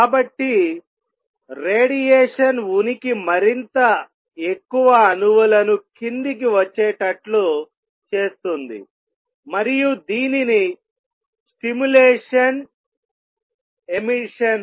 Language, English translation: Telugu, So, presence of radiation makes more and more atoms also come down and this is known as stimulated emission